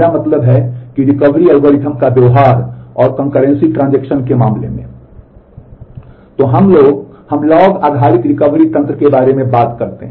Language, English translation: Hindi, We will learn about another kind of logging mechanism; so, the recovery algorithm